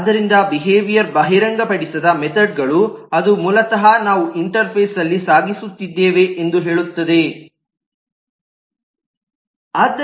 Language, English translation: Kannada, So behavior is the exposed methods, which is basically what we are carrying in the interface